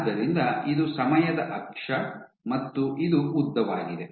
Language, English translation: Kannada, So, this is your time axis and this is your length